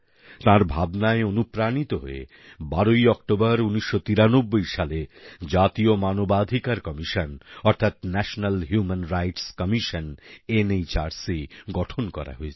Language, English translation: Bengali, Inspired by his vision, the 'National Human Rights Commission' NHRC was formed on 12th October 1993